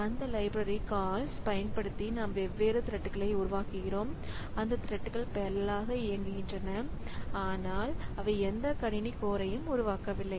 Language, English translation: Tamil, So, we create different threads and those threads are they execute in parallel, but they are not making any system calls